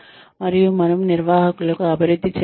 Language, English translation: Telugu, And, we develop managers